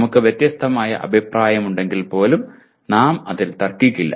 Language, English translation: Malayalam, We will not dispute that even if we have different opinion